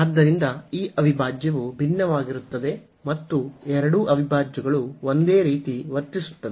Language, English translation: Kannada, So, this integral diverges and since both the integrals will behave the same